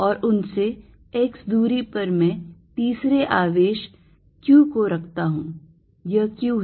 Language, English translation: Hindi, And I put a third charge q at a distance x from them, this is q